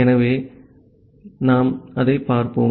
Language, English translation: Tamil, So, now we will see that we